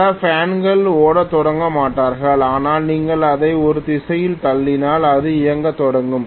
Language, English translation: Tamil, Many fans will not start running, but if you give it a push in one direction, it will start running